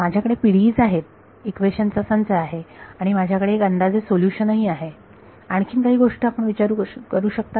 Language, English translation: Marathi, I have the PDE s, I have a system of equations and I have an approximate solution what other things can you think of